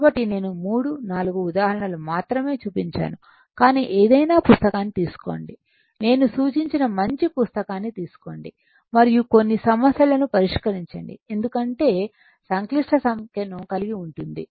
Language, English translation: Telugu, So, only few 3 4 more examples I can show you because it, but you take any book any good book I suggest you take and solve some problems right because complex number involves ah your